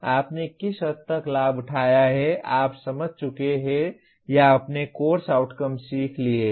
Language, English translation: Hindi, To what extent you have gained, you have understood or you have learnt the course outcomes